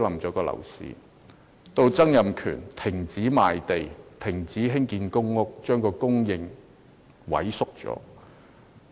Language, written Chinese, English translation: Cantonese, 後來，曾蔭權停止賣地，停建公屋，令房屋供應萎縮。, When Donald TSANG halted land sales and the construction of public housing later housing supply was substantially reduced